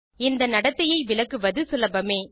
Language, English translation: Tamil, It is not difficult to explain this behaviour